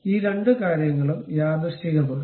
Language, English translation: Malayalam, These two things are coincident